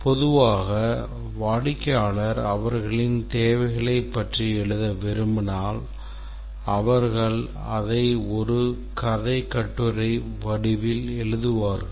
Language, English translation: Tamil, Typically if you want the customer to write about their requirements, they would write in the form of a narrative essay